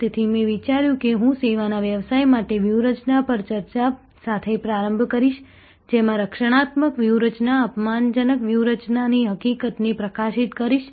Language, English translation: Gujarati, So, I thought I will start with a discussion on strategy canvas for a services business, highlighting the fact that there will be defensive strategies, offensive strategies